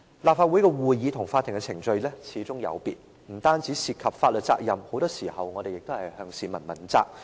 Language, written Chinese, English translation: Cantonese, 立法會的會議與法庭的程序始終有別，不但涉及法律責任，我們很多時候亦要向市民問責。, The meetings of the Legislative Council are indeed different from court proceedings . On top of carrying legal responsibilities we are accountable to the public from time to time